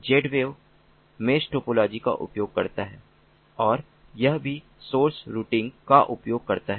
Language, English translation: Hindi, z wave uses mesh topology and it also uses source routing